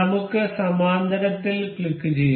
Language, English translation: Malayalam, Let us click on parallel